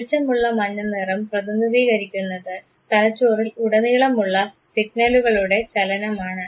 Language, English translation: Malayalam, The bright yellow light represents movement of signal across the brain